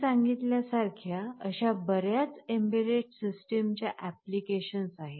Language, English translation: Marathi, What we are saying is that there are many embedded system applications like the one I just now talked about